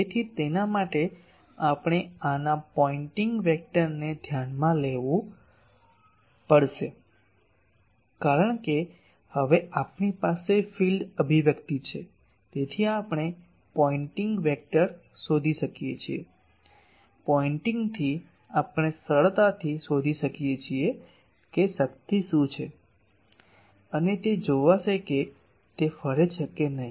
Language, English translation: Gujarati, So, for that we will have to consider the pointing vector of this because now, we have field expression so we can find pointing vector, from pointing we can easily find what is the power and will see that it whether it radiates or not